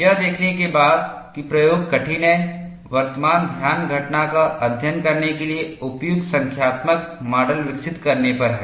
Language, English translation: Hindi, Having seen that the experiment is difficult, the current focus is on developing appropriate numerical models to study the phenomena